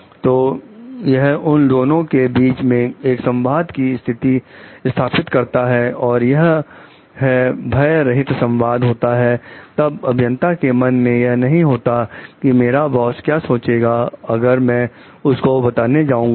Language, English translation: Hindi, So, that is going to establish a communication between the two a fearless communication like then it will not be there in the engineers mind you know engineers mind like what the my boss will think if I am going to tell him or her that